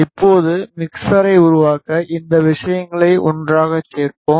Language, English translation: Tamil, Now, let us add this things together to make the mixer